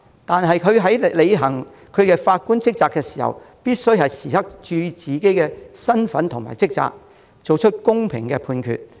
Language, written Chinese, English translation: Cantonese, 但法官在履行職責時，必須注意自己的身份和職責，作出公平判決。, However judges must pay attention to their status and duties when performing their duties so as to make fair judgments